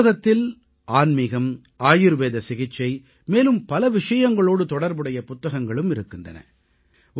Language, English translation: Tamil, In this library, books related to spirituality, ayurvedic treatment and many other subjects also are included